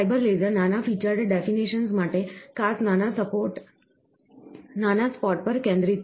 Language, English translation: Gujarati, The fibre laser is focused to a particular small spot, for small featured definitions